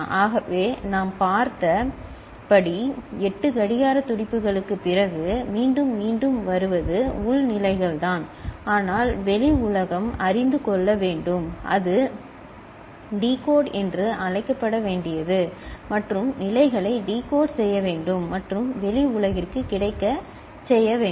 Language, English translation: Tamil, So, it is the internal states that are getting circulated that are getting repeated after 8 clock pulses as we have seen, but the outside world need to know right for that it need to be what is called decoded and the states need to be decoded and made available to the outside world, ok